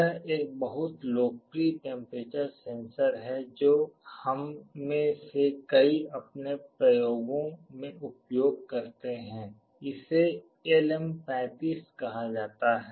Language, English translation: Hindi, This is a very popular temperature sensor that many of us use in our experiments; this is called LM35